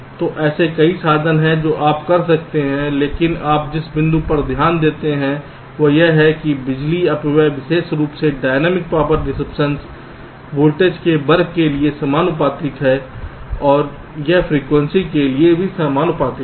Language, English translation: Hindi, you can, because the the point you note, that is, that the power dissipation, particularly the dynamic power dissipation, is proportional the to this square of the voltage and it is proportional to the frequency